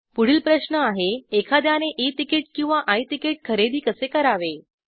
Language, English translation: Marathi, The next question is should one buy E ticket or I ticket